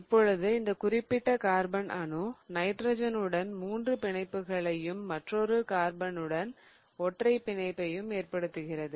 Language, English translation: Tamil, This carbon is forming a triple bond with the nitrogen and a single bond with the other carbon